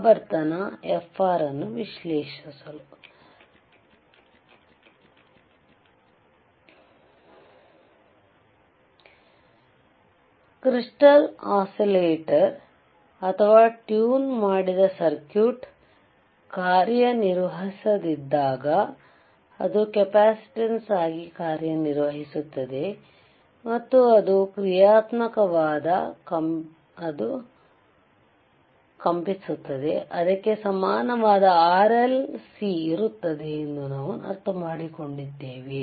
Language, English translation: Kannada, So, what we understood that when the crystal, when the crystal when the crystal oscillator or a tuned circuit is not functional, it acts as a capacitance, and when it is functional, when it is vibrating, it will have R, L and C in its equivalent